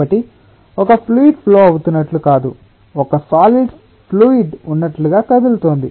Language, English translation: Telugu, it is not that a fluid is flowing, but a solid is moving, as if it it is a fluid